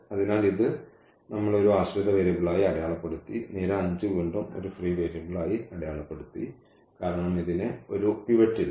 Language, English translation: Malayalam, So, this we have marked as a dependent variable, column number 5 again we have marked as a free variable because it does not have a pivot